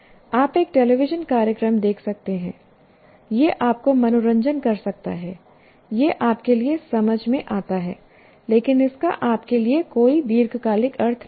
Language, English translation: Hindi, You may watch a television program, it may entertain you, it makes sense to you, but it doesn't make, it has no long term meaning for you